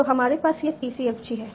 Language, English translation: Hindi, So we have this PCFG